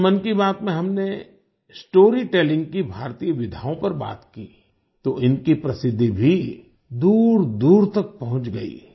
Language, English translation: Hindi, When we spoke of Indian genres of storytelling in 'Mann Ki Baat', their fame also reached far and wide